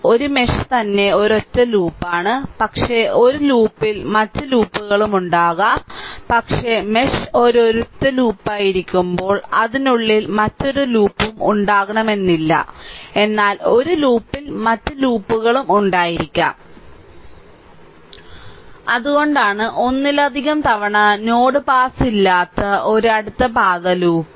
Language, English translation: Malayalam, A mesh itself is a single loop right, but but in a loop there may be other loop also right, but whenever the mesh is a single loop there may not be any other loop inside it, but in a loop there may be other loops also later will see that